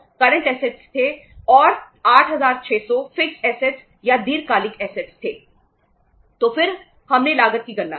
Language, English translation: Hindi, So then we calculated the cost